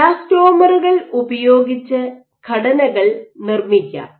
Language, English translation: Malayalam, So, you want to fabricate structures using elastomers